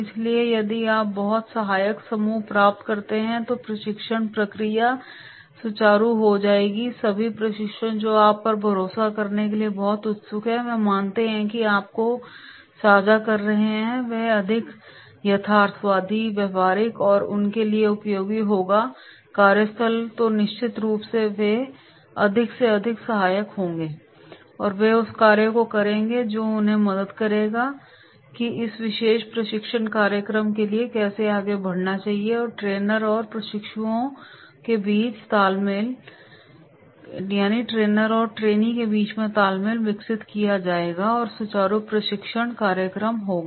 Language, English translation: Hindi, So if you get very very supportive group the training process will be smooth, all the trainees who are very keen to learn that trust in you, they believe that is what you are sharing that is more realistic, practical and will be helpful on their workplace then definitely they will be more and more supportive and they will do the task which will help them that is how to proceed for this particular training program and the rapport will be developed between the trainer and the trainees and there will be smooth training program is there so therefore, training courses will be promoted